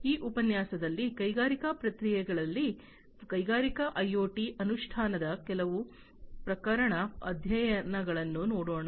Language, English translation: Kannada, Now, in this lecture, we will go through some of the case studies of the implementation of Industrial IoT in the industrial processes